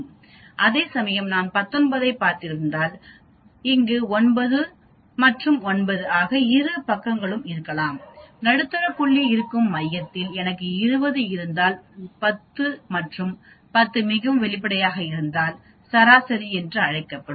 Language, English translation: Tamil, Whereas if I have seen 19 so I may have here both sides 9 and 9 and the middle point will be in the center whereas if I have 20 I have 10 and 10 so obviously, the median will be the average of the 10th and the 11th point that is called median